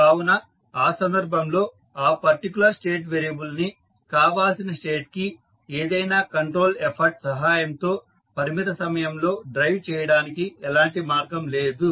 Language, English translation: Telugu, So, in that case there will be no way of driving that particular state variable to a desired state infinite times by means of any control effort